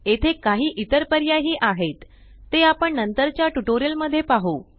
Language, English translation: Marathi, There are few other options here, which we will cover in the later tutorials